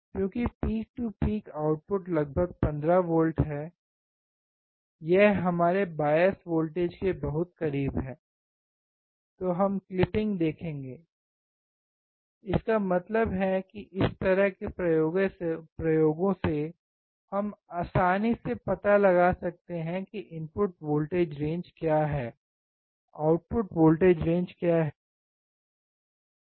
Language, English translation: Hindi, Because the output peak to peak is around 15 volts, it is very close to our bias voltage, suddenly, we will see the clipping; that means, that from this kind of experiments, we can easily find what is the input voltage range, what is the output voltage range